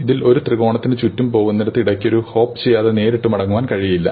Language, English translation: Malayalam, Where you go around a triangle and you cannot go back directly without hopping in between